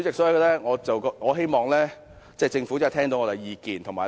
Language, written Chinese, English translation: Cantonese, 主席，我希望政府聽到我們的意見。, Chairman I hope the Government can hear our voice